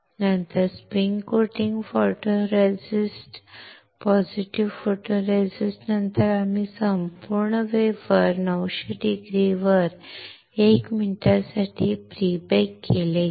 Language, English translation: Marathi, Then after the spin coating positive photoresist we have pre baked the whole wafer at 900C for 1 minute